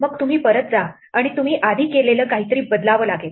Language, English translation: Marathi, Then you go back and you have to change something you did before